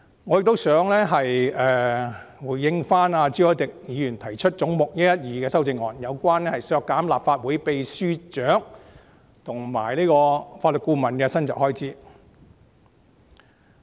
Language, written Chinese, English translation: Cantonese, 我也想回應朱凱廸議員就總目112提出的修正案，目的是削減立法會秘書處秘書長及法律顧問的薪酬預算開支。, I also want to make a response to the amendment by Mr CHU Hoi - dick regarding head 112 which seeks to reduce the estimated expenditure of the pay for the Secretary General and the Legal Adviser of the Legislative Council Secretariat